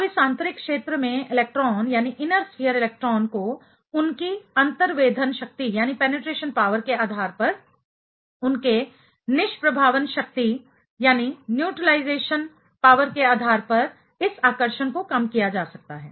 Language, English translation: Hindi, Now, this attraction can be minimized by this inner sphere electron based on their penetration power, based on their neutralization power